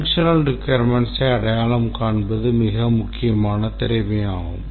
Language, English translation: Tamil, Identifying the functional requirements is a very important skill